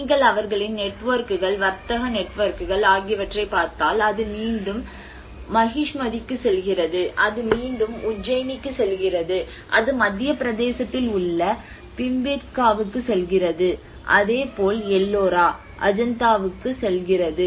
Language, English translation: Tamil, \ \ \ If you look at their networks, the trade networks, it goes back to Mahishmati, it goes back to Ujjain, it goes back to Bhimbetka in Madhya Pradesh you know, so Ellora, Ajanta